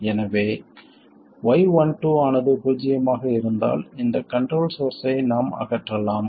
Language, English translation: Tamil, So, once Y12 is 0, we can simply remove this control source